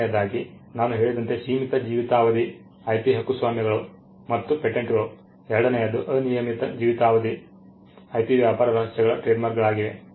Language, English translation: Kannada, As I said is the limited life IP copyrights and patents the other will be the unlimited life IP trade secrets trademarks